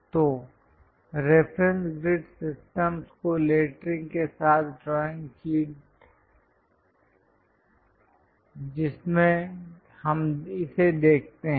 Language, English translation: Hindi, So, the drawing sheet with lettering the reference grid systems which we can see it